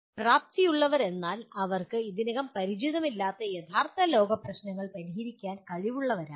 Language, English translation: Malayalam, Capable means they are capable of solving real world problems that they are not already familiar with